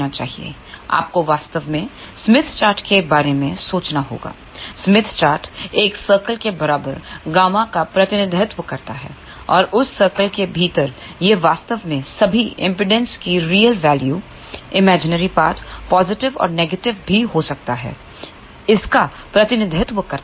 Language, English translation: Hindi, You have to actually think about a smith chart, smith chart represents gamma equal to one circle and within that circle it actually represents all the real value of the impedance to be positive, imaginary part can be positive or negative, but what if the real part of the impedance is negative